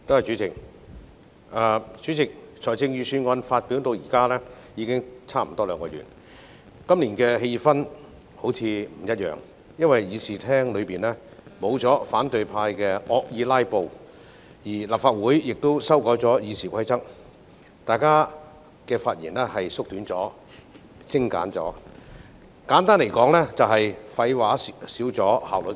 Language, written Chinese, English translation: Cantonese, 代理主席，財政預算案發表至今已接近兩個月，今年辯論的氣氛似乎不一樣，因為議事堂上沒有反對派惡意"拉布"，立法會《議事規則》亦已修改，大家的發言時間縮短了，發言也比較精簡，簡單來說是廢話減少，效率提高。, Deputy President it has been nearly two months since the Budget was published . The atmosphere this year seems to be different when we have the debate because the opposition camp is not in this Chamber to stage malicious filibusters; the Rules of Procedure of the Council have also been amended; our speaking time has become shorter and our speeches have become more concise . In short there is less nonsense and higher efficiency